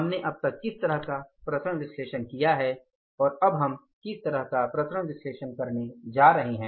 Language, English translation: Hindi, What kind of the variance analysis we did till now and what kind of the variance analysis we are going to do now